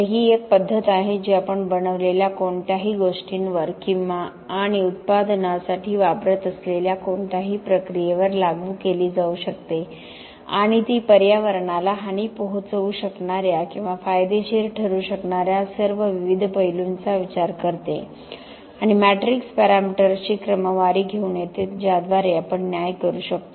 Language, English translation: Marathi, So this is a methodology that can be applied to anything we make or any process that we use for manufacturing and it takes into account all the different aspects that could harm or benefit the environment and come up with sort of matrix parameters by which we can judge whether a material is environmentally friendly during its whole life